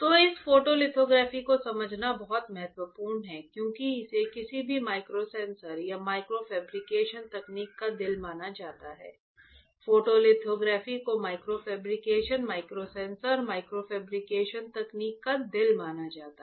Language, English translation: Hindi, So, very very important to understand this photolithography because it is considered as a heart of any microsensors or micro fabrication technique; photolithography is considered as a heart of micro fabrication microsensors fabrication technique alright